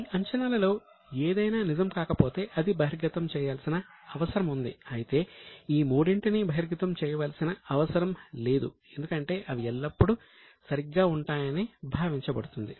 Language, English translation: Telugu, If any of this assumption is not true, it is required to be disclosed but there is no need to disclose these three because it is assumed that they are always followed